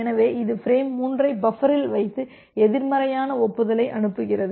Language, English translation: Tamil, So, it puts frame 3 in the buffer and sends a negative acknowledgement